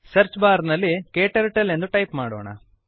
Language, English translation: Kannada, In the Search bar, type KTurtle